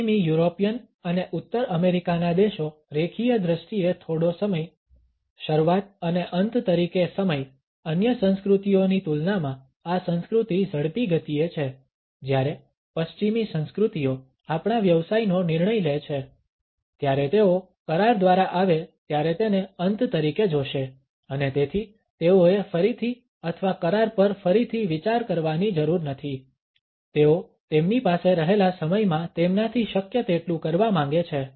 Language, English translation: Gujarati, Time as a beginning and an end, this culture is fast paced compared to other cultures when western cultures make a decision of our business they will see it as final when they come through an agreement and so, they do not have to rethink or just of the agreement; they wants to do as much as possible in the time they have